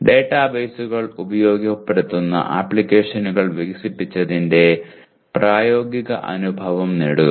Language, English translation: Malayalam, Have practical experience of developing applications that utilize databases